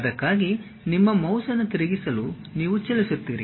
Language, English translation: Kannada, For that you just move rotate your mouse